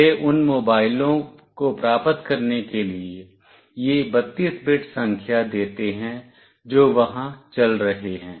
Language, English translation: Hindi, They give this 32 bit number to get to those mobiles that are moving there